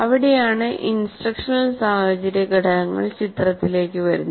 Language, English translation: Malayalam, That is where the instructional situational factors will come into picture